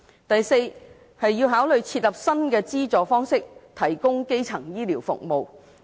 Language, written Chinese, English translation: Cantonese, 第四，考慮設立新資助方式提供基層醫療服務。, Fourth consider introducing new funding models for primary health care services